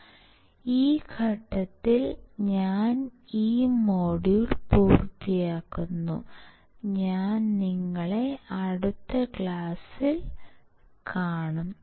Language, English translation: Malayalam, So, I will finish this module at this point, and I will see you in the next class till then you take care